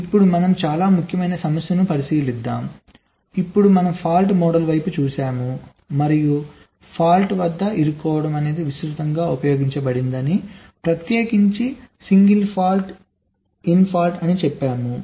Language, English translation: Telugu, now we had looked at ah, the stuck at fault model, and we have said that stuck at fault is the most widely used, in particular the single stuck at fault